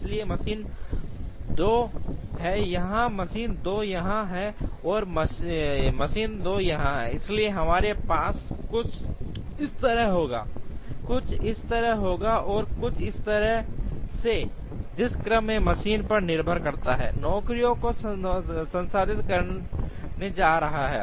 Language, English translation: Hindi, So, machine 2 is here machine 2 is here, and machine 2 is here, so we would have something like this, something like this and something like this, depending on the order in which the machine is going to process the jobs